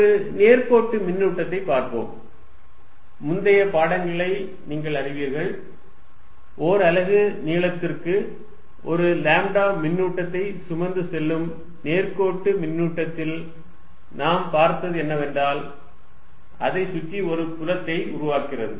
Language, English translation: Tamil, Let us look at a line charge, you know the previous lectures, we did a line charge of carrying a lambda per unit length and what we saw is that, it creates a field like this around it